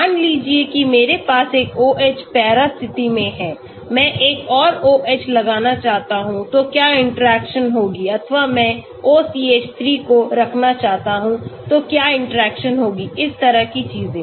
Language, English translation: Hindi, Suppose I have one OH in the para position, I want to put another OH what will be the interaction or I want to put O CH3 what will be the interaction that sort of thing